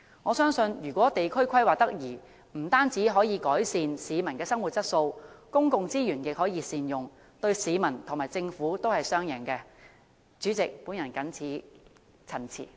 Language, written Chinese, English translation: Cantonese, 我相信，地區規劃得宜的話，不但可以改善市民的生活質素，亦可以善用公共資源，對市民和政府來說都是雙贏的做法。, I believe that proper district planning not only can improve the quality of life of the public but also optimize the use of public resources; this is a win - win approach for the public and the Government